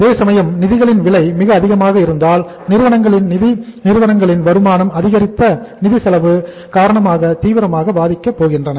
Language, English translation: Tamil, Whereas if the cost of the funds is very high so the firms finances, firms incomes are going to be impacted seriously, negatively because of the increased financial cost